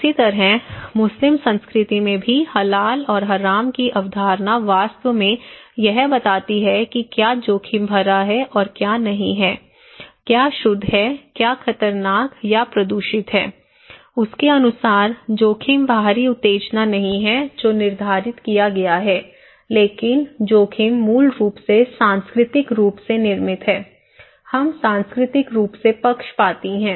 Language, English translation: Hindi, Similarly, in Muslim culture also, the concept of Halal and Haram actually distinguish what is risky to it and what is not, what is pure, what is dangerous or polluted okay so, risk according to that way, itís not the external stimulus that determined but risk is basically, culturally constructed, we are culturally biased